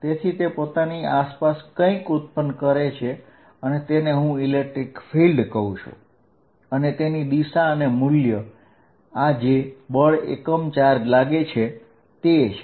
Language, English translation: Gujarati, So, this exist something around it that I am calling the electric field and it is direction and magnitude is given by force is applied on a unit charge